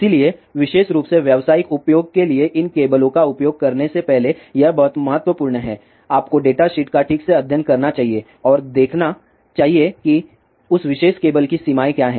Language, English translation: Hindi, So, it is very important before you use these cables for specially commercial use, you must study the data sheet properly and see what are the limitations of that particular cable